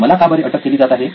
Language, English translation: Marathi, Why am I under arrest